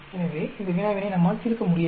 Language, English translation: Tamil, So, we cannot solve this problem